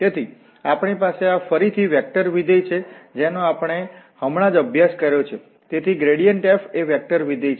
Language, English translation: Gujarati, So, we have, this is a vector function again which we have just studied, so the gradient f is a vector function